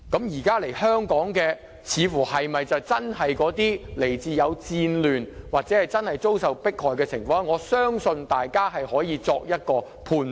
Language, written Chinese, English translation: Cantonese, 現在來香港的難民，是否真的來自有戰亂的地方，或者真的有遭受迫害的情況？我相信大家可以作出判斷。, I trust that Members can judge if the refugees in Hong Kong are really from war zones or have suffered from persecution